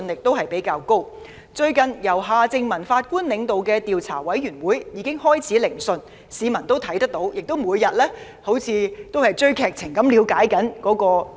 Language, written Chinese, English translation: Cantonese, 最近，由前法官夏正民領導的調查委員會已開始聆訊，市民每天猶如追看電視劇般了解調查進度。, Recently the Commission of Inquiry chaired by Mr Justice Michael John HARTMANN has started conducting hearings . Every day people are eager to learn the inquiry progress like binge watching television dramas